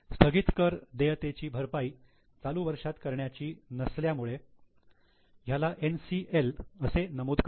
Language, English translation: Marathi, Deferred tax liability not to be paid in the current year, so this is NCL